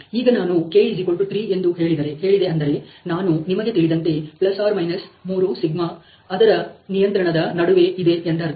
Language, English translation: Kannada, So, if I were to say to k=3, we are talking a control of you know ±3σ between which the control is being executed ok